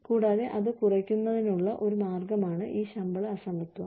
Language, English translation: Malayalam, And, that is one way of reducing, this pay disparity